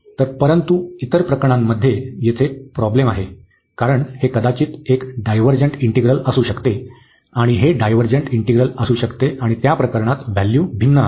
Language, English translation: Marathi, So, but in other cases we have the problem here, because this might be a divergent integral and this might be the divergent integral and in that case the value will differ